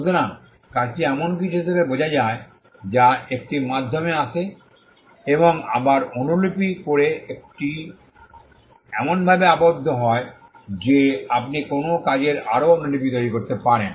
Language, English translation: Bengali, So, work is understood as something that comes on a medium and copy again it is tied to the fact that you can make a further copy of a work